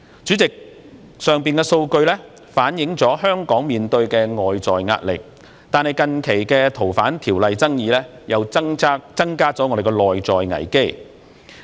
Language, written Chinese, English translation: Cantonese, 主席，上述數據反映出香港面對的外在壓力，但近期就修訂《逃犯條例》的爭議又增加了內在危機。, President the figures mentioned just now reflect the external pressure faced by Hong Kong but the recent controversy over the amendments to FOO has given rise to an internal crisis